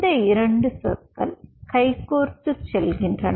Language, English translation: Tamil, these two words go hand in hand